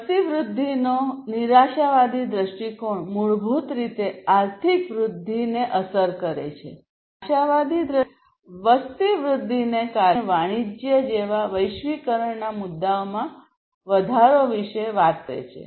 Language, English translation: Gujarati, So, the pessimistic view of population growth basically effects the economic growth and the optimistic view basically on the contrary it talks about increase of the globalization issues such as trade and commerce due to the growth of population